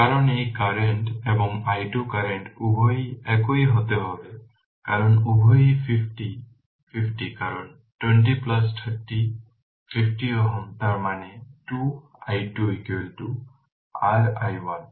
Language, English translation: Bengali, Because both current this current and i 2 current both have to be same because both are 50 50 because 20 plus 30 50 ohm; that means, 2 i 2 is equal to your i 1